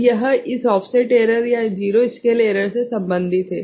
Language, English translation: Hindi, So, this is related to this offset error or zero scale error right